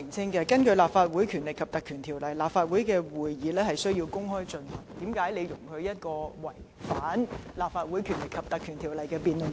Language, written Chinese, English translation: Cantonese, 既然根據《立法會條例》，立法會會議須公開舉行，為何你容許本會進行這項違反有關條例的辯論？, Given that sittings of the Council shall be open to the public under the Legislative Council Ordinance why did you allow this debate which is contrary to the Ordinance to be held in this Council?